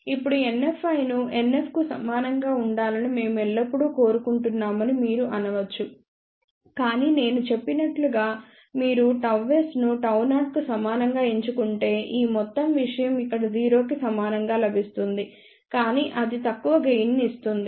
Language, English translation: Telugu, Now, you may say that we would always like NF i to be equal to NF min, but as I just mentioned if you choose gamma s equal to gamma 0 then only we will get this whole thing equal to 0 over here, but that may give rise to lower gain